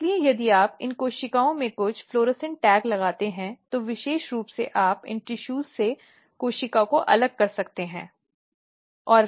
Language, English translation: Hindi, So, if you put some florescent tag in these cells, then specifically you can isolate the cells from these tissues